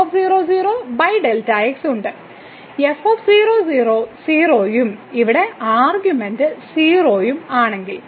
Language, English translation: Malayalam, So, is 0 and here if one of the argument is 0